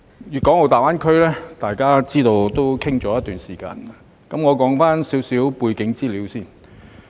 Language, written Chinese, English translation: Cantonese, 粵港澳大灣區已討論了一段時間，我先談談一些背景資料。, The Guangdong - Hong Kong - Macao Greater Bay Area GBA has been discussed for some time . I will talk about some background information first